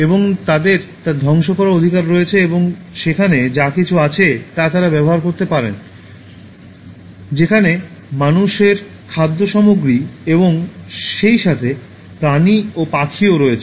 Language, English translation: Bengali, And they have the right to destroy and they can utilize whatever is there, the human food items, as well as the animals and birds which are also there